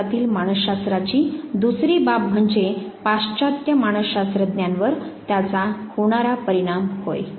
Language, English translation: Marathi, The second aspect of psychology in India is the impact of on the western psychologists